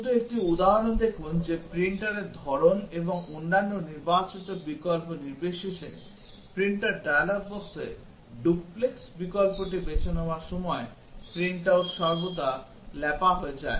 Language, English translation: Bengali, Just look at an example that, the print out always gets smeared when you choose the duplex option in the printer dialogue box regardless of the printer type and other selected option